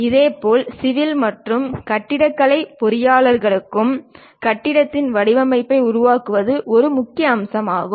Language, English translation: Tamil, Similarly, for civil and architectural engineers, constructing building's patterns is essential components